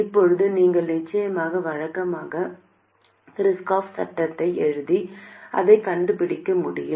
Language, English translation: Tamil, Now, you can of course write the usual Kirchhoff's laws and find it